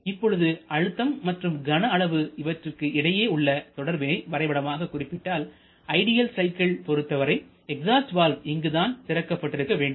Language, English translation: Tamil, Now if we plot a pressure versus volume graph representation then in case of ideal cycle it should open here the exhaust valve